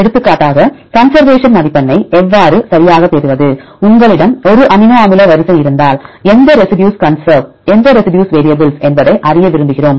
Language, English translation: Tamil, Then how to get the conservation score right for example, if you have an amino acid sequence, we like to know which residues are conserve and which residues are variable how to do that